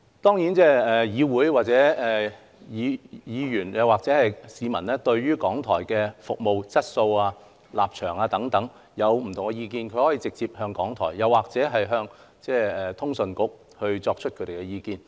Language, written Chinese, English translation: Cantonese, 當然議員或市民對於港台的服務質素、立場等有不同的意見時，可以直接告訴港台，或向通訊事務管理局提出。, Of course Members or members of the public who have different opinions on RTHKs service quality stances and so on can directly raise them to RTHK or the Communications Authority